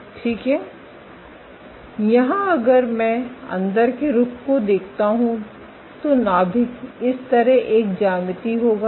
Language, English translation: Hindi, Here if I look inside view the nucleus will have a geometry like this